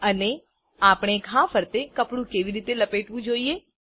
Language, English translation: Gujarati, And how should we roll the cloth around the wound